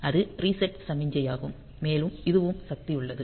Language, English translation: Tamil, So, that is the reset signal and also this is also the power on is there